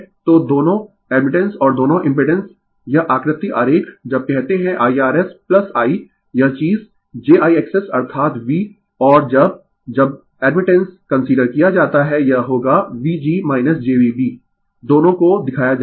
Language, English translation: Hindi, So, both admittance and both impedance this figure diagram when you call IR S plus Ithis thing jIX S right that is V and when you when you consider admittance it will V g minus jV b both have been shown right